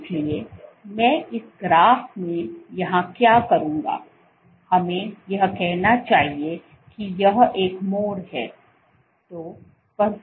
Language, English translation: Hindi, So, what I will do here in this graph let us say this is turn over